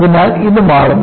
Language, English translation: Malayalam, So, this changes